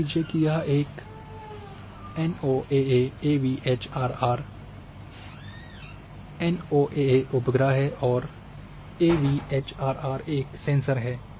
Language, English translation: Hindi, So, suppose there is a NOAA AVHRR; NOAA is satellite and AVHRR is a sensor